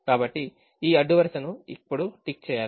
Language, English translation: Telugu, so this row will now have to be ticked again